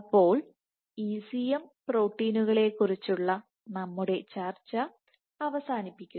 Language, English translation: Malayalam, So, that concludes our discussion of ECM proteins